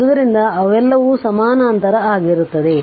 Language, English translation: Kannada, So, all they are all are in parallel